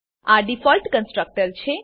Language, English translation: Gujarati, And Default Constructors